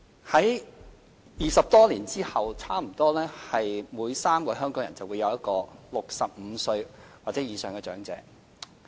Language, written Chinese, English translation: Cantonese, 在20多年後，差不多每3個香港人之中，便有一個是65歲或以上的長者。, Some two decades down the line nearly one in every three Hongkongers will be an elderly aged 65 or above